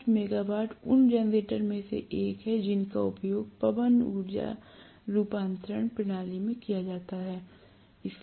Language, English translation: Hindi, 5 megawatt is one of the generators that are being used along with wind energy conversion system